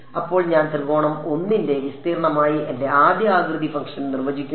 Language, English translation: Malayalam, Now I define my first shape function as the area of triangle 1